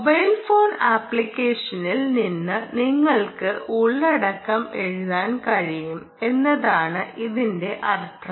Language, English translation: Malayalam, what it means is you can write content from the mobile phone app, let us say some app